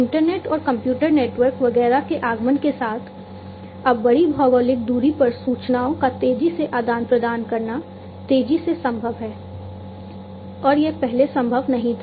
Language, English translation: Hindi, So, now with the advent of the internet and the computer networks and so on, now it is possible to rapidly in to exchange information rapidly over large geographical distance and that was not possible earlier